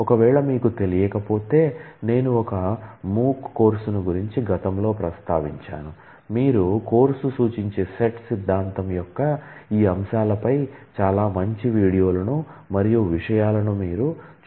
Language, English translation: Telugu, If you are not I have mentioned one MOOC’s course this is a past course, but you can access the videos and the contents which has a very nice discussion on these aspects of set theory which you may refer to